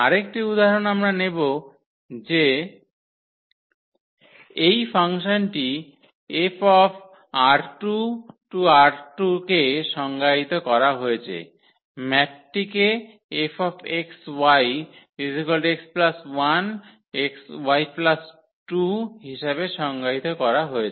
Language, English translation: Bengali, So, another example we will take that this function F is defined the map is defined as F x y when we apply on this x y we are getting x plus 1 y plus 1